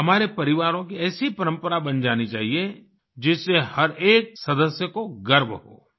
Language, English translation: Hindi, Such a tradition should be made in our families, which would make every member proud